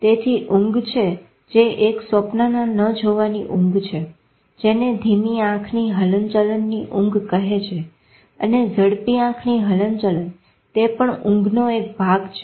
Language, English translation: Gujarati, So there is a sleep which is a non dreaming sleep called non rapid eye movement sleep and there is a part of sleep called rapid eye movement sleep